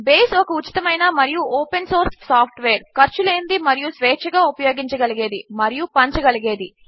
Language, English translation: Telugu, Base is free and open source software, free of cost and free to use and distribute